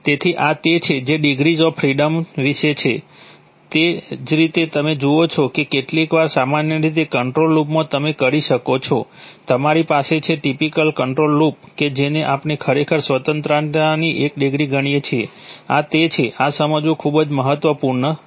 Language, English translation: Gujarati, So this is what degrees of freedom is about, similarly you see that sometimes typically in a control loop you can, you have, typical control loop that we consider actually one degree of freedom, this is, this is very important to understand